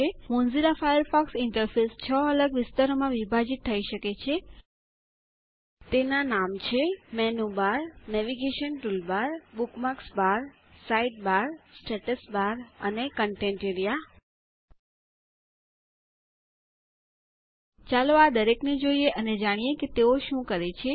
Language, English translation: Gujarati, The Mozilla Firefox interface can be split up into 6 distinct areas, namely The Menu bar the Navigation toolbar the Bookmarks bar the Side bar the Status bar and the Content area Lets look at each of these and learn what it does